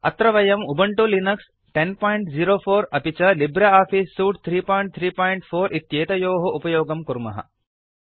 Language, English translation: Sanskrit, Here we are using Ubuntu Linux 10.04 as our operating system and LibreOffice Suite version 3.3.4